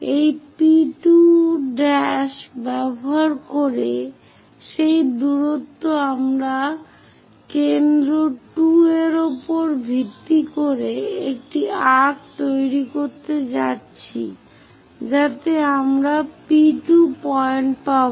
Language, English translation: Bengali, Using this P2 prime that distance we are going to make an arc based on center 2 such that we will get P 2 point